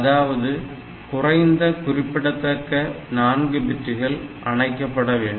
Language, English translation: Tamil, So, least significant 4 bits they should be turned off